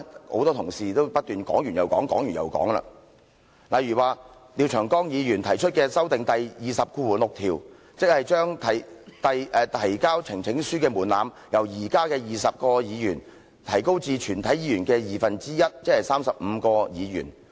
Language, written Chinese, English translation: Cantonese, 很多同事已經不斷在說，例如廖長江議員提出修訂《議事規則》第206條，將提交呈請書的門檻由現時的20位議員提高至全體議員的二分之一，即35位議員。, As repeatedly mentioned by many Members one example is Mr Martin LIAOs proposed amendment to RoP 206 with the objective of raising the threshold for presenting a petition from 20 Members at present to half of all Members that is 35 Members